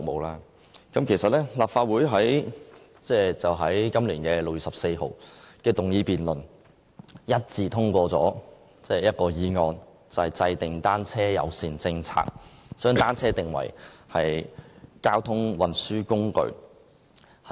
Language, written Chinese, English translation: Cantonese, 立法會在今年6月14日的議案辯論一致通過一項議案，就是制訂單車友善政策，將單車訂為交通運輸工具。, On 14 June this year the Legislative Council passed unanimously a motion on Formulating a bicycle - friendly policy and designating bicycles as a mode of transport after the motion debate